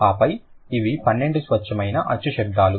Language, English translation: Telugu, And then these are the 12 pure vowel sounds